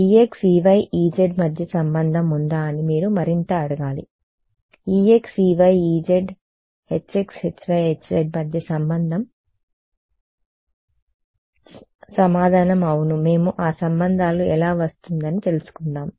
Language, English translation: Telugu, Is there a relation between E x E y E z you should ask more is the relation between E x E y E z H x H y H z answer is yes we get into how will that how will those relations come